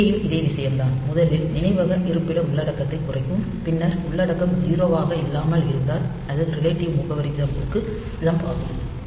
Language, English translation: Tamil, So, here also the same thing, it will decrement the memory location content and then if the content is nonzero, then it will be jumping to the relative address